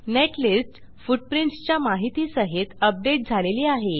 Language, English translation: Marathi, Now the netlist is updated with footprints information